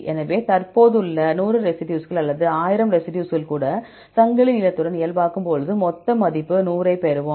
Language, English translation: Tamil, So, even the 100 residues present or 1,000 residues present, when we normalize with chain length we will get total value 100